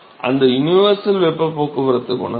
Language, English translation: Tamil, So, U is the universal heat transport coefficient